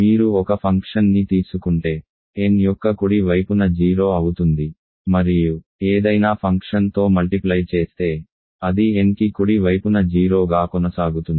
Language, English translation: Telugu, If you take a function which is identically 0 to the right of n and multiply by any function, it will continue to be 0 to the right of n